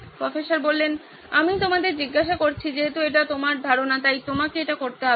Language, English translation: Bengali, I am asking you, this is your idea, you have to do it